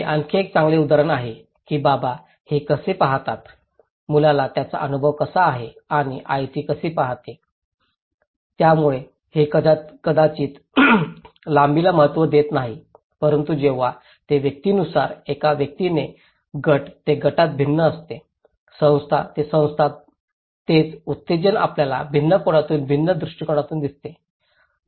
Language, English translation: Marathi, Here is another good example that how dad sees it, how the kid experience it and how mom sees it, so itís not actually maybe that does not matter the length but when it varies from person to person, individual to individual, group to group, institution to institutions, this same stimulus we see in a different perspective, in a different angle